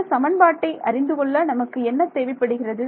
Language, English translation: Tamil, What all do you need to know from this equation